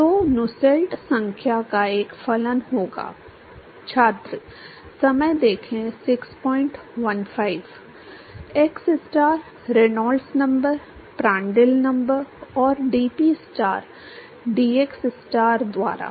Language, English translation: Hindi, So, Nusselt number will be a function of xstar, Reynolds number, Prandtl number and dPstar by dxstar